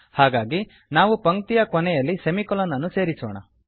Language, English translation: Kannada, So, let us insert semicolon at the end of the statement